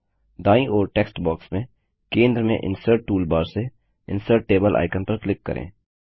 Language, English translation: Hindi, In the right side text box click on the icon Insert Table from the Insert toolbar in the centre